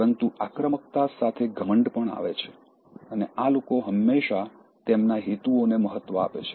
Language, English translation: Gujarati, But with aggressiveness, arrogance also comes, and these people always push their agenda